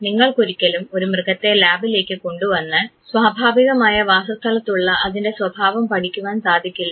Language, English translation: Malayalam, You cannot say bring an animal to the lab to understand the behavior of that very animal in their natural habitat